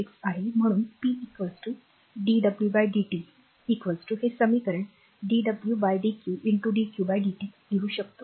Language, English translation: Marathi, 6 therefore, p is equal to dw by dt is equal to we can write this equation dw by dq into dq by dt right